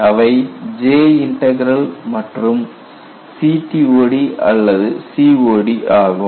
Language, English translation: Tamil, They are J Integral and CTOD or COD